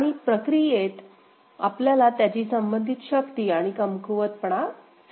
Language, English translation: Marathi, And in the process, we understood their relative strengths and weaknesses